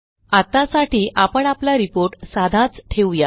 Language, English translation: Marathi, For now, let us keep our report simple